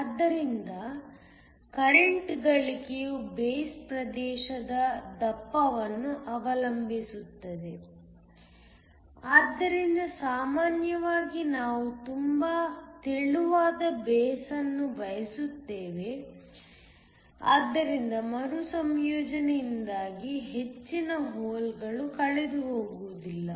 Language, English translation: Kannada, So, The current gain depends upon the thickness of the base region, so typically we want a very thin base so not many holes are lost due to recombination